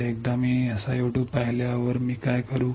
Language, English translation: Marathi, So, once I see the SiO 2 what will I do